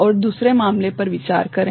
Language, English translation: Hindi, And, consider the other case